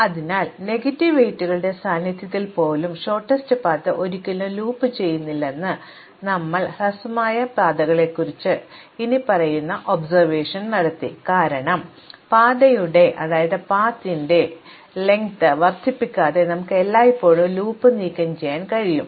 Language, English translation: Malayalam, So, you made the following observation of shortest paths that the shortest path even in the presence of negative weights will never loop, because we can always remove the loop without increasing the length of the path